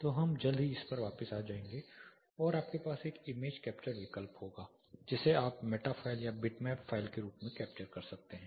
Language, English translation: Hindi, So we will come back to this shortly plus you have an image capture option you can capture it as Meta file or bitmap file